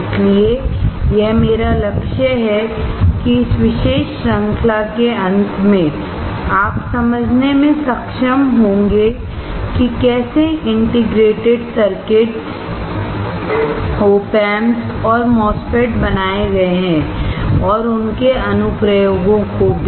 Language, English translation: Hindi, So, this is my goal that at the end of this particular series that you are able to understand, how the integrated circuits, OP Amps as well as the MOSFETS are fabricated and also their applications